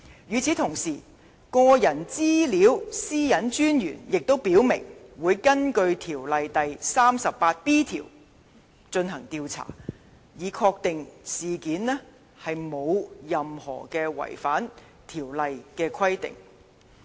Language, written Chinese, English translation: Cantonese, 與此同時，個人資料私隱專員亦已表明，會根據條例第 38b 條進行調查，以確定事件沒有違反條例的任何規定。, At the same time the Privacy Commissioner for Personal Data PCPD has also indicated that an investigation will be launched in accordance with section 38b of PDPO to ascertain if there is any contravention of a requirement under PDPO